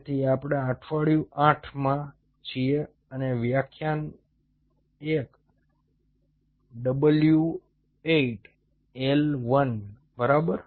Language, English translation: Gujarati, so so we are in to week eight and lecture one w eight l one